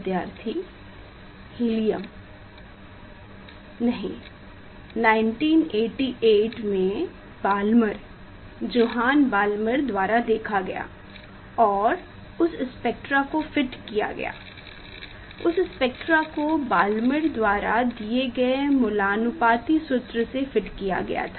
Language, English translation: Hindi, Observed by the Balmer Johann Balmer in 1988 and that spectra were fitted; that spectral was fitted with the empirical formula given by Balmer